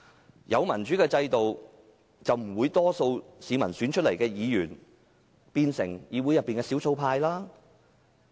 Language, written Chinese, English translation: Cantonese, 如果有民主制度，大多數市民選出來的議員便不會變成議會的少數派。, Should we have a democratic system Members elected by majority votes would not have become the minority in this Council